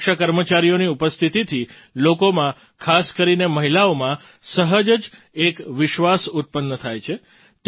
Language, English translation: Gujarati, The presence of women security personnel naturally instills a sense of confidence among the people, especially women